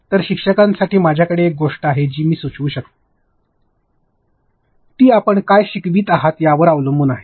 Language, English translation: Marathi, So, for teachers I have one thing which I can suggest is now depends upon what are you teaching